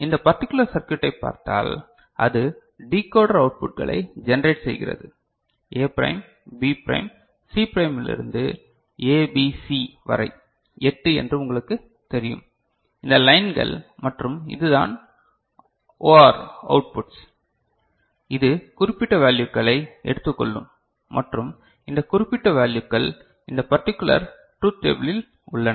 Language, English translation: Tamil, And if you look at this particular circuit which is generating this you know this is the decoder outputs A prime, B prime, C prime to ABC all 8 you know these lines and this is the OR outputs which is taking specific values right and this specific values are in this particular truth table